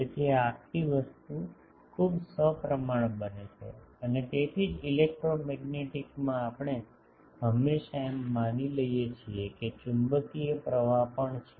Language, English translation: Gujarati, So, this whole thing gets very symmetric and that is why in electromagnetics we always assume these that there is a magnetic current also